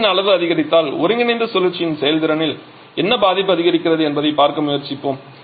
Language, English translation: Tamil, Let us try to see as the magnitude of X A increases what is the effect on the efficiency of the combined cycle